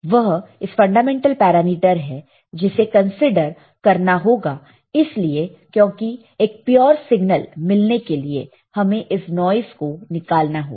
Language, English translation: Hindi, It is a fundamental parameter to be considered, because we have to remove this noise to obtain the pure signal right